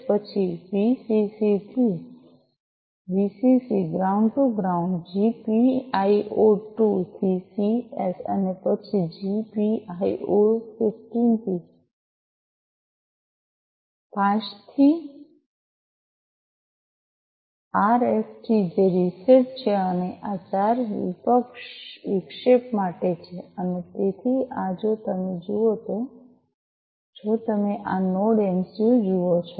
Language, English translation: Gujarati, Then Vcc to Vcc ground to ground to GPIO 2 to CS and then GPIO 15 5 to RST which is the reset and 4 this is for the interrupt and so these, if you look, at if you look at this NodeMCU